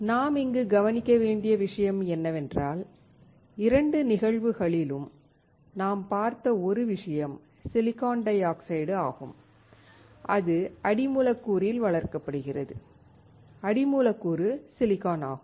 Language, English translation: Tamil, The point that I am making here is that in both the cases, one thing that we have seen is the silicon dioxide, which is grown on the substrate; the substrate being silicon